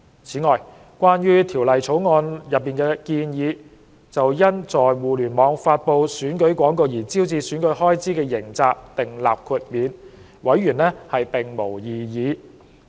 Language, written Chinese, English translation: Cantonese, 此外，關於《條例草案》內建議，就因在互聯網發布選舉廣告而招致選舉開支的刑責訂立豁免，委員並無異議。, In addition members have raised no objection to the proposed exemption from criminal liability for incurring election expenses for publishing election advertisements on the Internet under the Bill